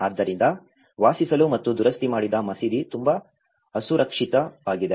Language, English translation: Kannada, So, it is very unsafe to live and the mosque which has been repaired